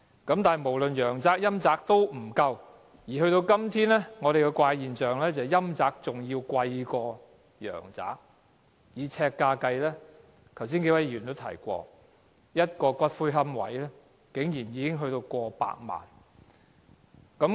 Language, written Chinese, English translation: Cantonese, 但是，無論陽宅或陰宅都不足夠，而到了今天，出現了一種怪現象，就是以呎價計算，陰宅比陽宅更貴，正如剛才數位議員表示，一個骨灰龕位竟然超過100萬元。, That said housing for both the living and the dead are likewise inadequate . Yet a strange phenomenon has now emerged in that housing for the dead is more expensive than those for the living in terms of the price per square foot . As indicated by several Members just now a niche can cost as much as over 1 million